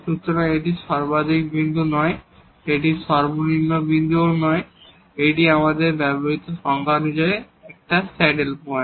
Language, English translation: Bengali, So, it is not a point of maximum, it is not a point of minimum and it is a saddle point as per the definition we use